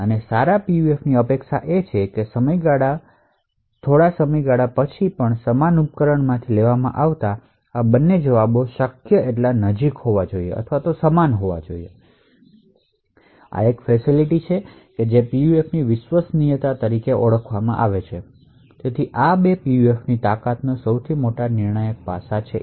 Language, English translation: Gujarati, And what is expected of a good PUF is that these 2 responses taken from the same device after a period of time should be as close as possible or should be exactly identical, So, this is a feature which is known as reliability of a PUF and therefore these 2 would actually form the most critical aspects for gauging the strength of PUF